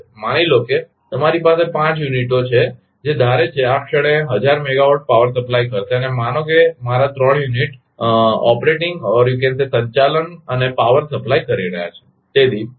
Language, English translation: Gujarati, Suppose in a suppose you have a 5 units which is suppose to supply power 1000 megawatt say at this moment and suppose my 3 units are operating and supplying power